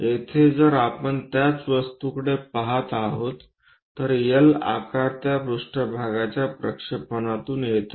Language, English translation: Marathi, Here, the object if we are looking the same object the L shape comes from projection of that one onto this plane